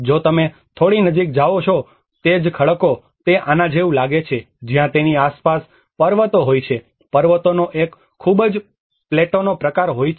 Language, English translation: Gujarati, If you go little closer, the same cliffs, it looks like this where there is mountains around it, a very plateau sort of mountains